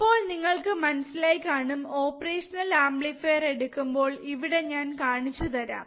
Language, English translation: Malayalam, So now you have to understand when you take operational amplifier, when you take an operational amplifier, I will show it to you here